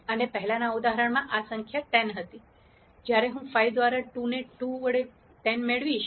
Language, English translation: Gujarati, And since in the previous example this number was 10, when I multiplied 5 by 2 I get 10